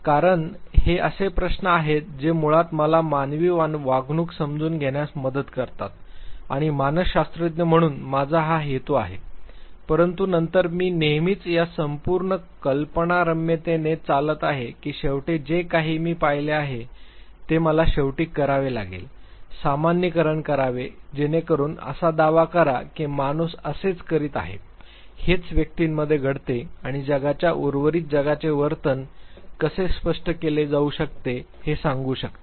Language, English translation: Marathi, Because these are the questions which will basically help me understand human behavior and this is my intention as a psychologist, but then I am always driven by this whole fantasy that finally whatever I observe that very behavior I have to finally, generalize so that I can claim that this is how human beings do, this is what goes within the individuals this is how the behavior can be explained and narrated to the rest of the world